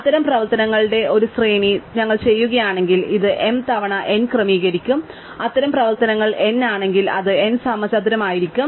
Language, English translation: Malayalam, So, if we do a sequence of m such operations, then this will be order m times n, right and if it is n such operations, it will be n square, right